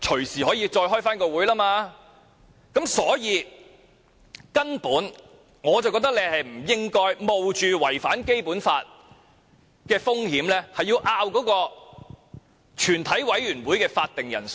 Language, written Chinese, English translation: Cantonese, 所以，我認為建制派根本不應該冒着違反《基本法》的風險，爭論全體委員會的會議法定人數。, For this reason I think the pro - establishment camp should not run the risk of contravening the Basic Law and argue about the quorum of a committee of the whole Council